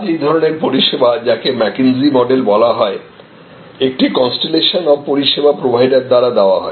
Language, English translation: Bengali, Today, this is the mckinsey model such services are provided by a constellation of service providers